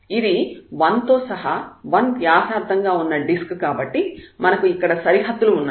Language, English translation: Telugu, So, this disk of this radius one and including this 1 so, we have the boundaries there